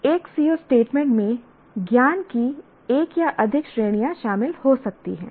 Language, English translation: Hindi, And also we said a CO statement can include one or more categories of knowledge